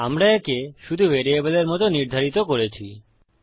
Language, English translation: Bengali, Weve just set it as a variable